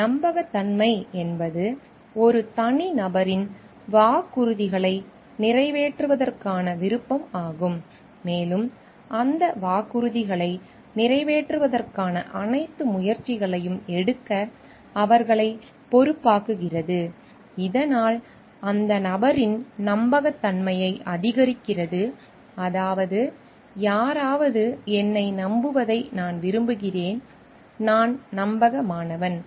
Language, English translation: Tamil, So, reliability is an individuals desire to fulfil the promises and which makes them responsible to take all the efforts to fulfil those promises and which thus enhances the reliability of the person means I can like someone can rely on me, I am trustworthy